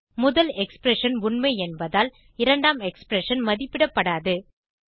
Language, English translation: Tamil, Since the first expression is true , second expression will not be evaluated